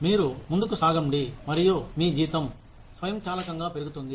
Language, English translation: Telugu, You move ahead, and your salary, automatically increases